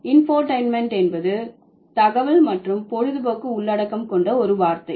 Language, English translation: Tamil, So, infotentment is a word which has contents like information as well as entertainment